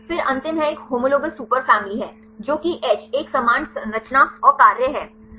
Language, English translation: Hindi, Then the last one is homologous superfamilies that is H a similar structure and function